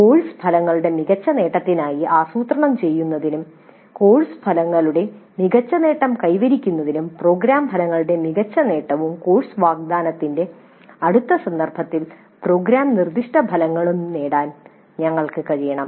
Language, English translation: Malayalam, So that should be evaluated to plan for better attainment of course outcomes and via the better attainment of course outcomes we should be able to get better attainment of program outcomes as well as program specific outcomes in the next instance of course offering